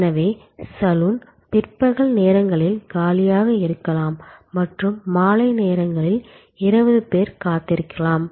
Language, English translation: Tamil, So, the saloon may be lying vacant during afternoon hours and may be 20 people are waiting in the evening hours